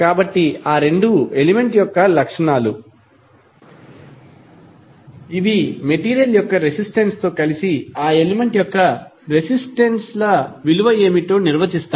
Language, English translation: Telugu, So, this 2 are the properties of that element with the resistivity of the material will define, what is the value of resistances of that element